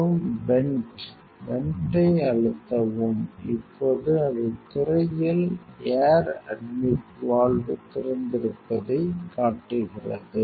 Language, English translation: Tamil, And vent, press the vent; now it shows air admit valve open on the screen